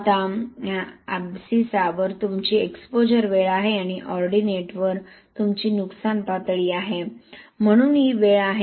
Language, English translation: Marathi, Now if only horizontal on the abscissa you have, exposure time and the ordinate you have damage level, so this is the time